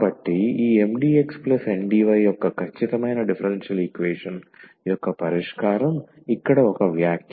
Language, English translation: Telugu, Well so, just a remark here the solution of the exact differential equation this Mdx plus Ndy